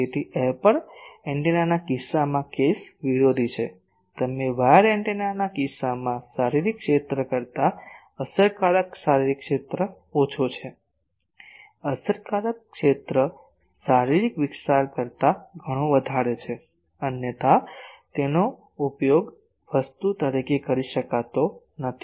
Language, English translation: Gujarati, So, the case is opposite in case of aperture antenna, you the effective area is less than the physical area in case of wire antenna the physical area, the effective area is much greater than the physical area otherwise it cannot be used as a thing